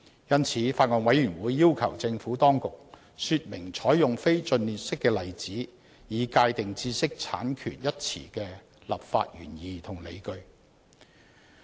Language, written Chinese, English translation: Cantonese, 因此，法案委員會要求政府當局說明採用非盡列式的例子，以界定"知識產權"一詞的立法原意和理據。, In this connection the Bills Committee has sought clarification from the Administration regarding the legislative intent and the justification of adopting a non - exclusive list of examples of IPRs